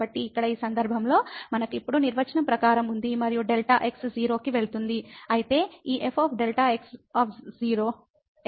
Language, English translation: Telugu, So, here in this case we have as per the definition now and delta goes to 0